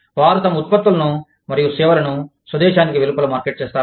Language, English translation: Telugu, They just market their products and services, outside of the home country